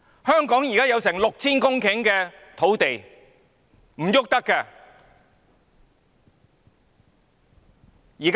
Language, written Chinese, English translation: Cantonese, 香港現在有近 6,000 公頃土地，卻動不得。, Hong Kong now possesses nearly 6 000 hectares of land but it cannot be used